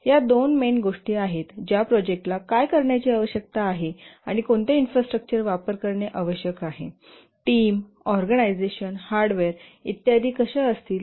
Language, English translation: Marathi, These are two main things that what the project needs to do and also what infrastructure it needs to use, what will be the team, team organization, hardware, and so on